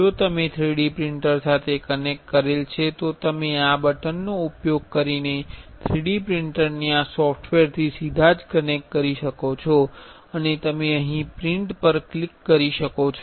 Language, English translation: Gujarati, If you have connected to the 3D printer we can directly connect the 3D printer to this software using this button and you can click print here